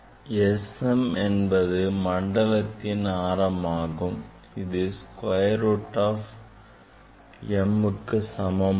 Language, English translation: Tamil, this relation is this is same is equal to square root of a m